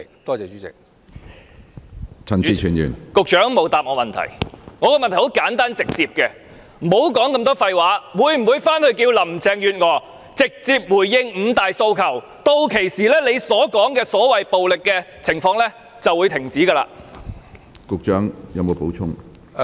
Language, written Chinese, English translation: Cantonese, 我的問題很簡單直接，不要說那麼多廢話，他會否請林鄭月娥直接回應五大訴求，屆時他提到的所謂暴力情況便會停止。, He had better save his rubbish talk . Will he ask Carrie LAM to directly respond to the five demands? . If he can do that the violent situation he mentioned will cease